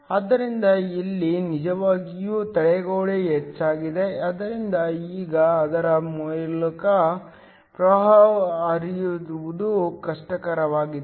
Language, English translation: Kannada, So, here the barrier is actually increased, so that now it is become more difficult for the current to flow through it